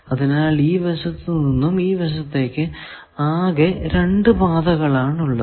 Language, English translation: Malayalam, So, only there are two paths for coming from this side to this side